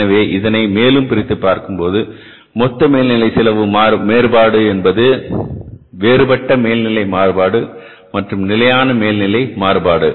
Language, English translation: Tamil, So the dissection of this total overhead cost variance is into variable overhead variance and the fixed overhead variance